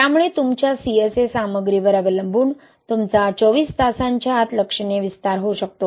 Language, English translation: Marathi, So depending on your CSA content, you may have significant expansion occurring within twenty four hours